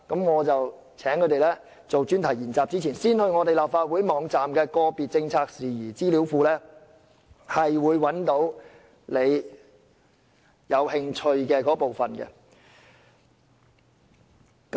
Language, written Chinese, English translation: Cantonese, 我請他們作專題研習前，先到立法會網站的個別政策事宜資料庫，找出他們感興趣的議題。, I would ask the students to first identify an issue which interests them by taking a look at the Database on Particular Policy Issues on the website of the Legislative Council before they start working on their projects